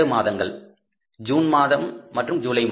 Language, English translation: Tamil, Two months, June and July